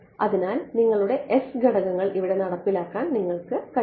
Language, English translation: Malayalam, So, you get to implement your s parameters over here